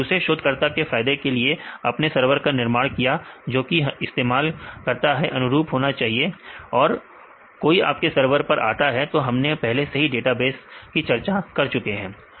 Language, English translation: Hindi, So, with the beneficial to the other researchers; you develop a server that should be user friendly because if anybody access your server, already we discussed some of the database